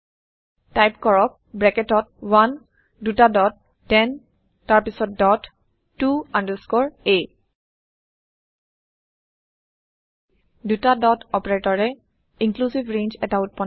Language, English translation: Assamese, Type Within brackets 1 two dots 10 then dot to underscore a Two dot operator creates inclusive range